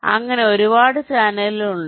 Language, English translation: Malayalam, so there are so many channels